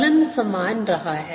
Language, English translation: Hindi, the function has remain the same